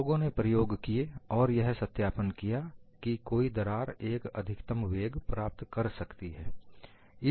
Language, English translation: Hindi, So, people have conducted experiments and verified that the crack can attain only a maximum velocity